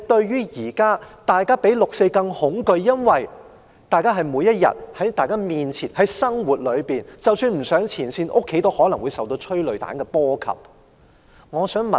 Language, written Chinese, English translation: Cantonese, 現時大家的恐懼比對"六四"的恐懼更甚，因為這是發生在面前的生活當中，即使不上前線，在家中也可能受催淚彈波及。, Peoples fear now is even stronger than that for the 4 June incident because this is happening in their lives . Even if they do not go to the front line they may be affected by tear gas at home